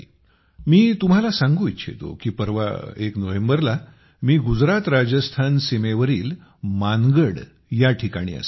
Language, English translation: Marathi, the day after tomorrow, I shall be at will be at Mangarh, on the border of GujaratRajasthan